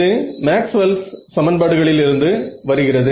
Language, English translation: Tamil, This is just coming from Maxwell’s equations right